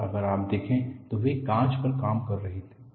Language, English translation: Hindi, And if you look at, he was working on glass